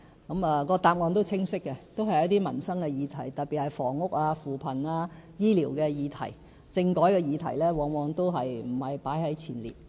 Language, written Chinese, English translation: Cantonese, 他們的答案是清晰的，都是一些民生的議題，特別是房屋、扶貧及醫療的議題，政改的議題往往不在前列。, Their answers are all very clear all about livelihood issues notably housing poverty alleviation and health care . Constitutional reform is rarely stated as a top issue